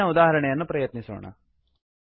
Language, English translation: Kannada, Let us try the previous example